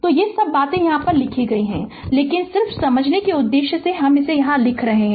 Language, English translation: Hindi, So, that is all these things written, but just for the purpose of understanding I am writing here